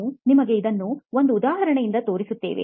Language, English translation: Kannada, We showed you an example